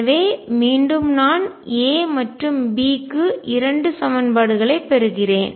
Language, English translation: Tamil, Therefore, again I get two equations for A and B